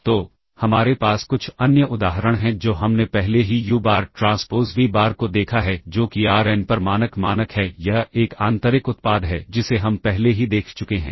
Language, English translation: Hindi, So, we have some other examples we are already seen, uBar transpose vBar that is the standard norm an Rn this is an inner product this we already seen